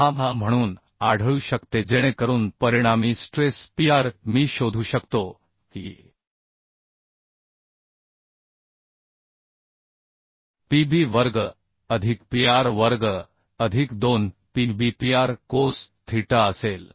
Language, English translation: Marathi, 6 so the resultant stress Pr I can find out that will be Pb square plus Pr square plus 2 PbPr cos theta